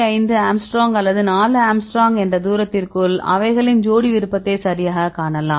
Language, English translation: Tamil, 5 angstrom or 4 angstrom and within the distance they can see the pair preference right